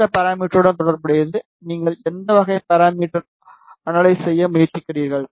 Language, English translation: Tamil, Then the next is corresponding to the parameter, which type of parameter you are trying to analyze